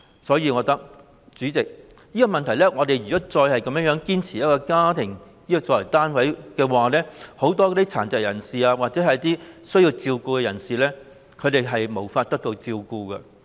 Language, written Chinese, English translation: Cantonese, 所以，代理主席，我覺得如果我們再堅持以家庭作為單位，很多殘疾或需要照顧的人便無法得到照顧。, In view of this Deputy President I think that if we continue to insist on adopting the family as the unit many people with disabilities or people in need of care will not receive any care